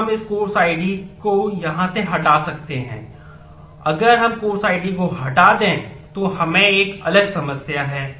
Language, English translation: Hindi, So, we can can we remove this course id from here, well if we remove the course id now we have a different problem